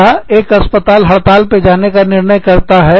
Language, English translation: Hindi, Or, one hospital, decides to go on strike